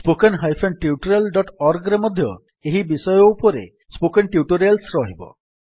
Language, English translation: Odia, There will be spoken tutorials on this topic at http://spoken tutorial.org also